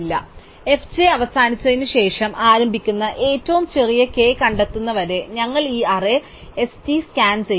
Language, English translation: Malayalam, So, we just scan this array ST until we find the smallest k which actually starts after f j ends